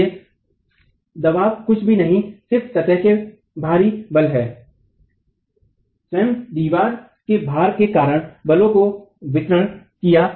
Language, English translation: Hindi, So here the expression that the pressure is nothing but out of plane forces, distributed forces, due to the self weight of the wall itself